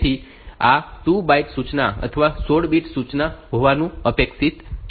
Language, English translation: Gujarati, So, this is expected to be 2 byte instruction or 16 bit instruction